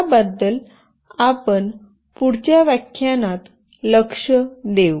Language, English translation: Marathi, We will look into that in the next lecture